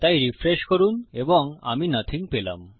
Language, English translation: Bengali, So refresh Ill make it nothing